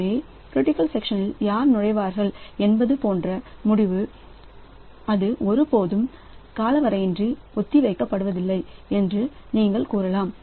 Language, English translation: Tamil, Then the selection like who will enter into the critical section it cannot be postponed indefinitely